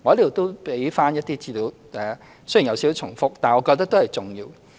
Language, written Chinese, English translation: Cantonese, 我在此也提供一些資料，雖然有點重複，但我覺得都是重要的。, I would also like to provide some information; though they may be repetitive I think it is important